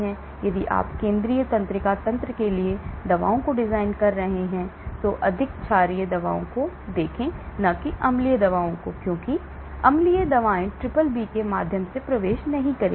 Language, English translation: Hindi, So, if you are designing drugs for central neuro system, then look at more basic drugs , not acidic drugs because acidic drugs will not penetrate through the BBB